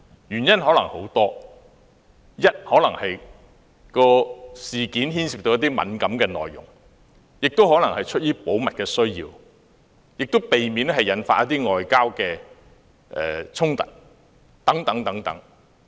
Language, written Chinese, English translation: Cantonese, 原因可能有很多，例如事件內容敏感，亦可能是出於保密的需要，或為了避免引發外交衝突等。, The reasons can vary such as the incident being sensitive in nature or there is a need for confidentiality or for avoiding diplomatic scuffles